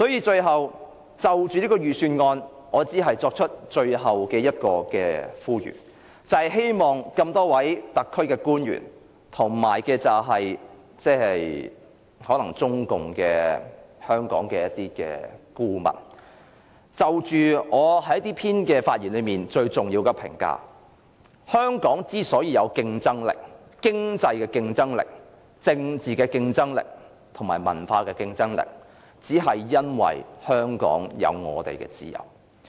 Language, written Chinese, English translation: Cantonese, 最後，就這份預算案，我只作出最後的呼籲，就是希望多位特區官員和香港的中共顧問思考就我這篇發言中最重要的評價：香港有經濟、政治和文化競爭力，只因香港有自由。, Insofar as this Budget is concerned here I call on the Government officials and advisers of CPC in Hong Kong to give thought to the important remark in my speech Hong Kong is economically culturally and politically competitive precisely because it is free